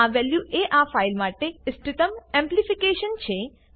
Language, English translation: Gujarati, This value is optimal amplification for this file